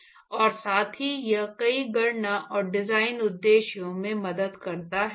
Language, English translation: Hindi, And also, it helps in many calculation and design purposes